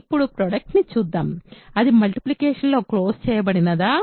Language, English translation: Telugu, So, now, let us look at product, is it closed under multiplication